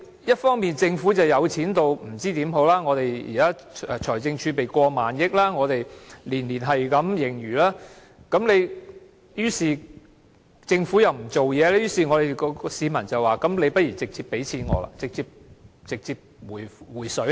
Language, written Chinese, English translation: Cantonese, 一方面政府富裕到不知應該怎樣做，現時的財政儲備有過萬億元，每年也有盈餘，但政府又不做事，於是市民說不如直接把錢給我好了，直接"回水"好了。, For one thing the Government is so rich that it does not know what to do . The fiscal reserve now stands at over 1,000 billion and a surplus is recorded every year . But the Government does nothing and so people say just give us the money direct and hand the cash to us straight